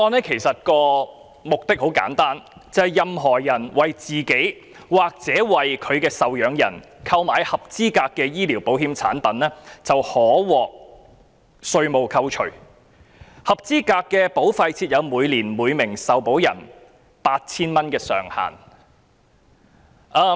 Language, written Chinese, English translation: Cantonese, 《條例草案》的目的很簡單，任何人為自己或其受養人購買合資格的醫療保險產品便可獲稅務扣除，但以每名受保人每年扣稅 8,000 元為上限。, The purpose of the Bill is simple which is to offer a tax deduction for people who purchased eligible health insurance products for themselves or their dependants with the annual tax - deductible amount being capped at 8,000 per insured person . Let us not discuss this tax - deductible amount for the moment